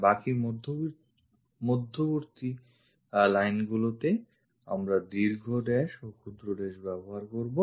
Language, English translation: Bengali, Remaining center lines we will use long dash and short dash